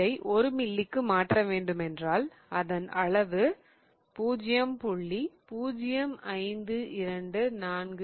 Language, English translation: Tamil, So, when we have to convert it to grams per ml, it will be 0